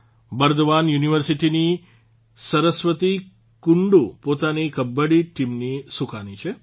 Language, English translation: Gujarati, Similarly, Saraswati Kundu of Burdwan University is the captain of her Kabaddi team